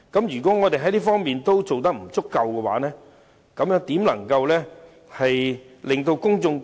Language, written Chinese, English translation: Cantonese, 如議員在這方面都做得不足，如何能取信於公眾？, If Members are unable to fulfil the requirements how can they win the trust of the public?